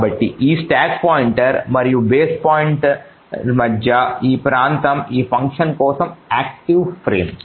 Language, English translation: Telugu, So this region between the stack pointer and the base pointer is the active frame for that particular function